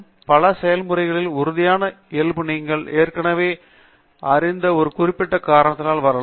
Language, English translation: Tamil, In many processes, the deterministic nature can come about by a certain cause that you already know right